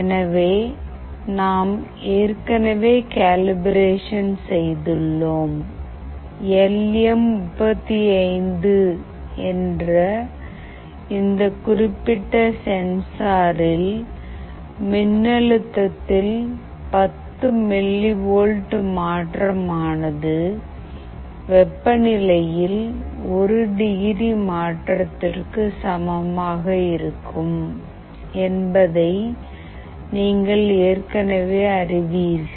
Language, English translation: Tamil, So, we have already done the calibration and as you already know that in this particular sensor that is LM35, 10 millivolt change in voltage will be equivalent to 1 degree change in temperature